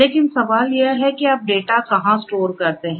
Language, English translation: Hindi, But the question is where do you store the data